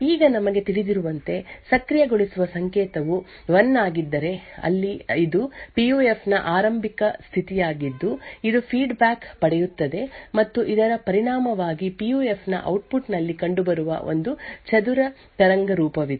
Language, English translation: Kannada, Now as we know, when the enable signal is 1, there is an initial state of the PUF which gets fed back and as a result there is a square waveform which gets present at the output of the PUF